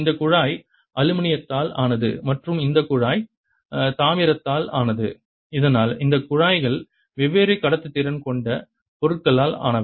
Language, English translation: Tamil, this tube is made of aluminum and this tube is made of copper, so that i have these tubes made of material of different conductivity